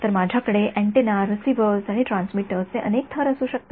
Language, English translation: Marathi, So, I could have multiple layers of antennas receivers and transmitters